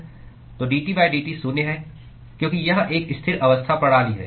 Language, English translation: Hindi, So dT by dt is zero because it is a steady state system